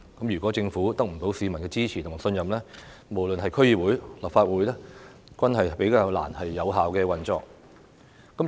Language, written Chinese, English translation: Cantonese, 如果政府得不到市民的支持和信任，無論是區議會或立法會，均比較難以有效運作。, If the Government fails to gain public support and trust it will be more difficult for the District Council and the Legislative Council to operate effectively